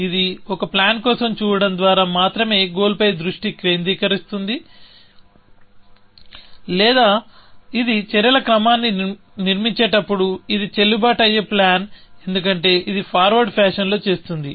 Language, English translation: Telugu, It is only focusing on the goal by looking for a plan, or it is making sure that when it is construct a sequence of actions, it is a valid plan, because it is doing it in the forward fashion